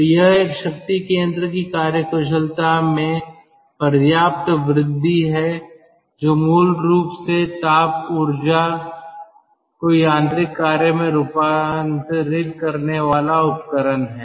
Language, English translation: Hindi, so this is a substantial increase in the efficiency of a power plant which is operating on, i mean which is op ah, which is basically a um ah conversion device for thermal energy to mechanical work and ah